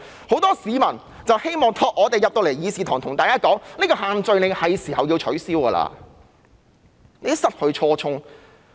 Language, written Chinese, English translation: Cantonese, 很多市民希望我們在議事堂向大家說，這個限聚令是時候要取消，它已經失去初衷。, Many people want us to say in this Chamber that it is time to repeal the social gathering restriction because it has already lost its original purpose . I have not yet talked about political assembly